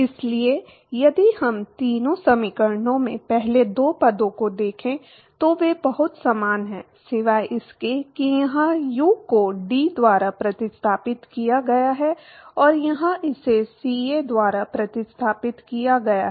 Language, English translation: Hindi, So, if we look at the first two terms in all three equations they are very similar right, except that here u is replaced by T and here it is replaced by CA